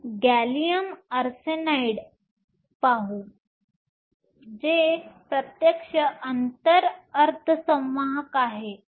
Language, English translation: Marathi, Let us look at gallium arsenide which is a direct gap semiconductor